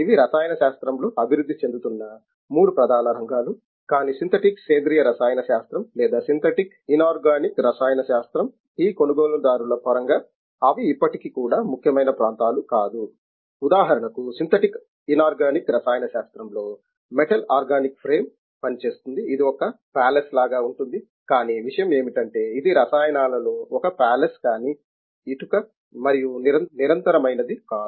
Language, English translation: Telugu, These are the three main areas which are evolving in chemistry, but it does’nt mean that this customer area of synthetic organic chemistry or synthetic inorganic chemistry, they are also still important For example, in synthetic inorganic chemistry, metal organic frame works which is just like a palace, but only thing is it is a palace in chemicals not a brick and mortal